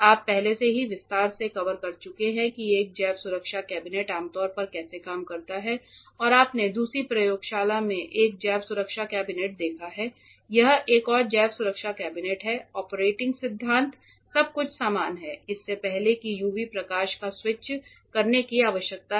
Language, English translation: Hindi, I think you have already covered in detail how a biosafety cabinet generally works and you have seen one biosafety cabinet in the other lab this is another biosafety cabinet the operating principle is everything is same before you use you need to switch on the UV light